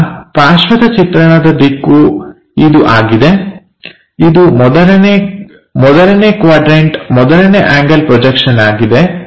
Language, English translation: Kannada, Our side view direction is this, first quadrant first angle projection